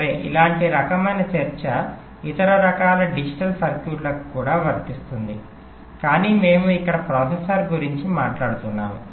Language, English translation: Telugu, well, similar kind of discussion can apply to other kind of digital circuits also, but we are simply talking about ah processor here